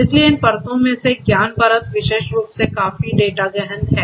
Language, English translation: Hindi, So, each of these layers you know so knowledge layer particularly is quite you know data intensive